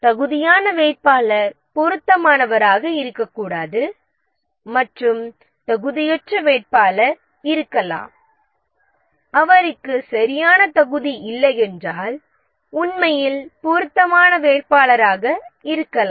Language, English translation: Tamil, Maybe the eligible candidate may not be suitable and a candidate who is not eligible and a candidate who is not eligible doesn't have the right qualification may be actually the suitable candidate